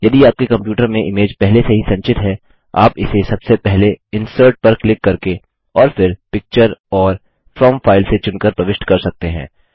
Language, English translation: Hindi, If an image is already stored on your computer, you can insert it by first clicking on Insert and then Picture and selecting From File